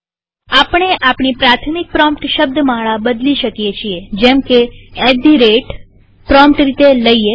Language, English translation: Gujarati, We may change our primary prompt string to say at the rate lt@gt at the prompt